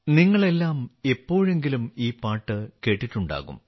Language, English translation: Malayalam, All of you must have heard this song sometime or the other